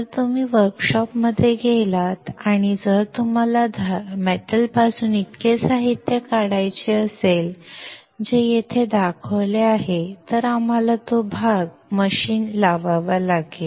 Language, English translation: Marathi, If you go to workshop and if you want to remove this much material from a metal, which is shown here then we can we have to machine that part